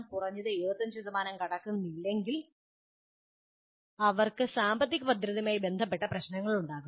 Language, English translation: Malayalam, Unless at least it crosses 75,000, they will have issues related to financial viability